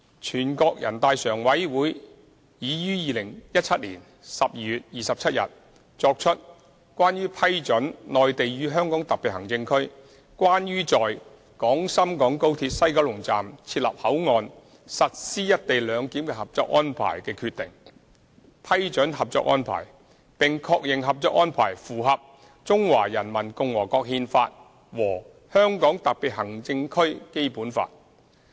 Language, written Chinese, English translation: Cantonese, 全國人大常委會已於2017年12月27日作出《關於批准〈內地與香港特別行政區關於在廣深港高鐵西九龍站設立口岸實施"一地兩檢"的合作安排〉的決定》，批准《合作安排》，並確認《合作安排》符合《中華人民共和國憲法》和《香港特別行政區基本法》。, On 27 December 2017 NPCSC has made the Decision on Approving the Co - operation Arrangement between the Mainland and the Hong Kong Special Administrative Region on the Establishment of the Port at the West Kowloon Station of the Guangzhou - Shenzhen - Hong Kong Express Rail Link for Implementing Co - location Arrangement approving the Co - operation Arrangement and confirming that the Co - operation Arrangement is consistent with the Constitution of the Peoples Republic of China and the Basic Law of the Hong Kong Special Administrative Region